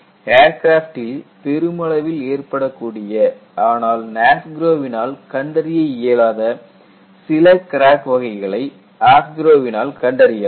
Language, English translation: Tamil, AFGROW has some crack cases, that are more probable to be seen in aircrafts, which are not found in NASGRO